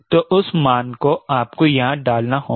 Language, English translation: Hindi, so that value you have to put it here